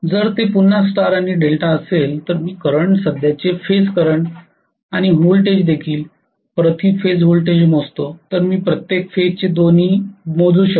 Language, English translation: Marathi, If it is again star and delta, If I measure the current also phase current and voltage also per phase voltage I can measure both per phase